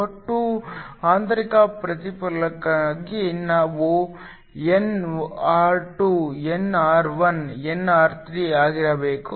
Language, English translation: Kannada, For total internal reflection, we want nr2 to be greater nr1, nr3